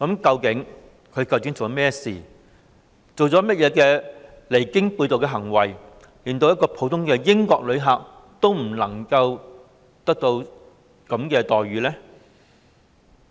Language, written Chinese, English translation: Cantonese, 究竟他做了甚麼事情或做出甚麼離經背道的行為，令他受到的對待連一名普通英國旅客也不如？, What has Mr MALLET done or what outrageous act has he committed such that his treatment is even inferior to that of an ordinary British tourist?